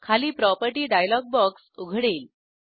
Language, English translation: Marathi, The property dialog box opens below